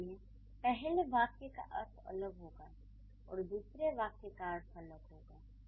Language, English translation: Hindi, So the first sentence will have a different connotation and the second sentence will have a different connotation